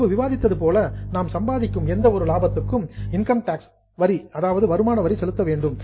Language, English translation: Tamil, As we were discussing, whatever profit we earn, we have to pay income tax on it